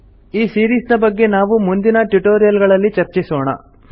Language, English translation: Kannada, We will discuss it in the later tutorials of this series